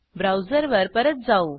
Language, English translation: Marathi, So, switch back to the browser